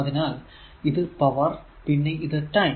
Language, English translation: Malayalam, So, this is power and this is your time